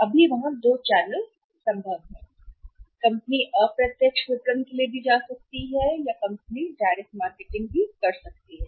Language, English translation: Hindi, Now there are two channels possible company can go for the indirect marketing also or company can go for the direct marketing